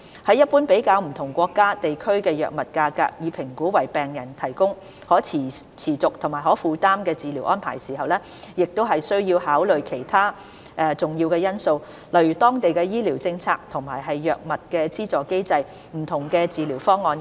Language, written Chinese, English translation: Cantonese, 在一般比較不同國家/地區的藥物價格以評估為病人提供的可持續和可負擔治療安排時，亦需要考慮其他重要因素，例如當地的醫療政策和藥物資助機制、不同的治療方案等。, While drawing a general comparison of drug prices in different countriesregions for the purpose of assessing the provision of sustainable and affordable medical treatment for patients it is necessary to consider other important factors such as local healthcare policy and drug subsidy mechanism as well as various treatment options